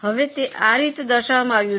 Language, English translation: Gujarati, Now it is depicted in this fashion